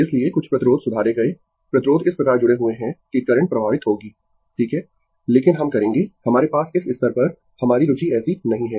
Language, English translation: Hindi, So, some resistance corrected resistance is connected such that your current will flow right, but we will we have our interest is not like that at the at this level